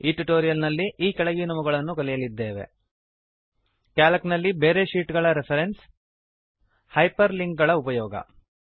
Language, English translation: Kannada, In this tutorial we will learn the following: How to reference other sheets in Calc